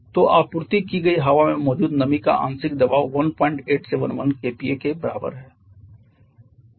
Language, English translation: Hindi, So, the partial pressure of the moisture present in the supplied air is equal to 1